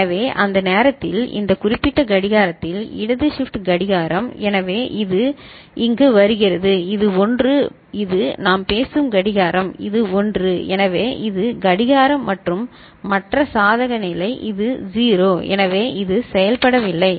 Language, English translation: Tamil, So, at that time, at this particular clock so left shift clock so this is coming here this is 1 and this is the clock we are talking about so, this is 1, so this is the clock and the other case this is 0 so, this is not working